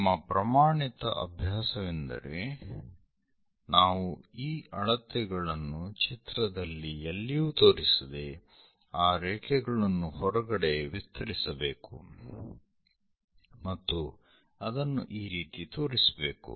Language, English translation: Kannada, Our standard practice is we do not show these dimensions on the drawing somewhere outside we have to extend those lines and show it